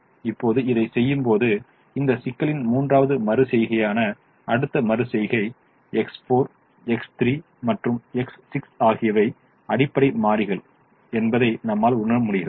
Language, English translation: Tamil, now when we do this, the next iteration, which is the third iteration of this problem, you realize that x four, x three and x six are the basic variables